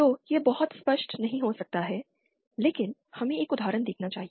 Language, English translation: Hindi, So, it might not be very clear but let us see an example